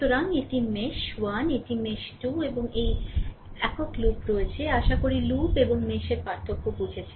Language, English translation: Bengali, So, this is mesh 1, this is mesh 2 and you have this single loop, hope you have understood the slight difference between mesh and loop, right